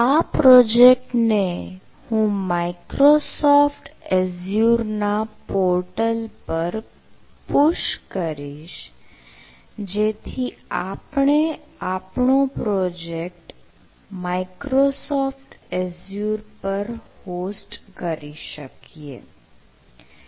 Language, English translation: Gujarati, so i will be pushing this project to our microsoft as your this portal, so that we can host our local project, microsoft azure